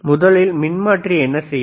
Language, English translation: Tamil, First, transformer what it will transformer do